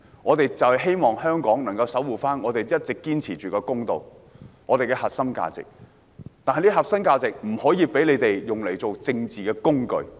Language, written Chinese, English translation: Cantonese, 我們希望香港能夠守護一直堅持的公道和核心價值，這個核心價值不能被他們利用作為政治工具。, We hope Hong Kong will uphold justice and the core value that we have all along insisted on . The core value must not be used as a political tool by them